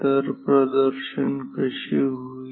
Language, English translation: Marathi, So, how will the display